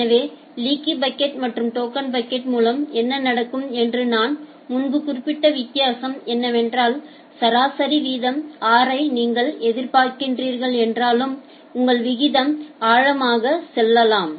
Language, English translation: Tamil, And so, the difference that I have mentioned earlier that with this leaky bucket and token bucket what happens that, sometime your rate can go deep although you are expecting the average rate r